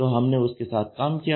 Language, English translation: Hindi, So, we worked with him